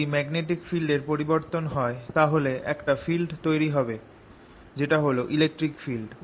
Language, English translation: Bengali, if there is a change, a magnetic field, it produces fiels, electric fiels